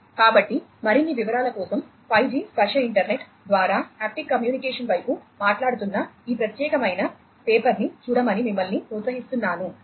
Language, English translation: Telugu, So, for more details you are encouraged to look at this particular paper, which is talking about towards haptic communication over the 5G tactile internet